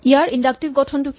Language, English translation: Assamese, What is the inductive structure